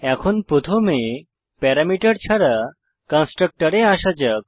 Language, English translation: Bengali, Now let us first come to the constructor with no parameters